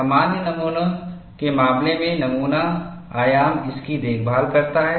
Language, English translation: Hindi, In the case of standard specimens, the specimen dimension takes care of it